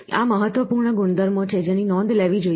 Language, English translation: Gujarati, These are important properties which have to be noted